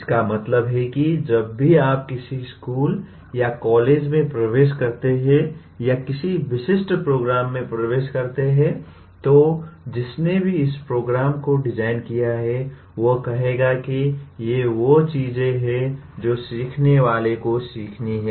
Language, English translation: Hindi, That means whenever you enter a school or a college or enter into a specific program, there is whoever has designed the program will say these are the things that the learner has to learn